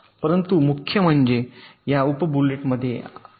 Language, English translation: Marathi, but the main difference lies in this sub bullets